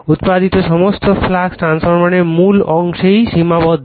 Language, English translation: Bengali, All the flux produced is confined to the core of the transformer